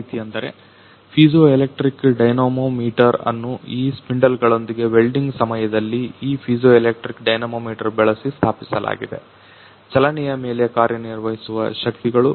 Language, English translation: Kannada, Such as the piezoelectric dynamometer has been installed with this spindles by using this piezoelectric dynamometer during the welding the forces acting on the movement